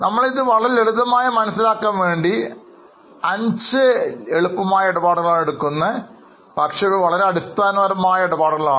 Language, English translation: Malayalam, So, we are just trying to make it very simple for five sample transactions, which are very easy transactions, but very basic